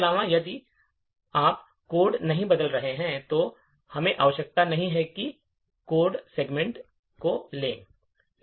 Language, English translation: Hindi, Further most if you are not changing code, we do not require that the codes segments to be writable